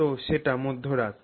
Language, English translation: Bengali, So, let's say that is midnight